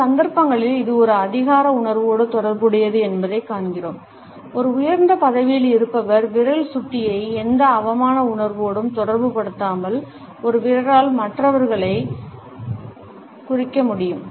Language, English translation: Tamil, In some cases we find that it is also associated with a sense of authority, when a person holding a superior position can indicate other people with a finger, without associating the finger pointer with any sense of insult